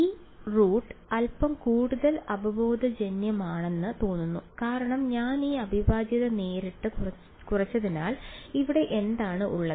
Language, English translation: Malayalam, This root seems to be little bit more intuitive because I have reduced that integral straight away what is n hat over here